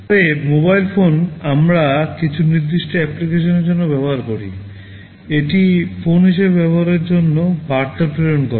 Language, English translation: Bengali, But mobile phones we use for some specific applications, for its use as a phone, sending messages